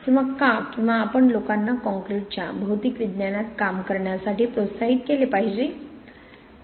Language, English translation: Marathi, Or why should, or how should we encourage people to get into material science of concrete